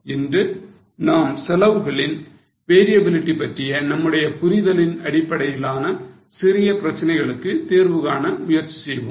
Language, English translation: Tamil, Today also we will try to solve some small cases based on our understanding of variability of costs